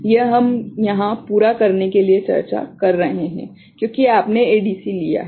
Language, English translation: Hindi, This we are discussing here for the sake of completion since weu have taken up ADC right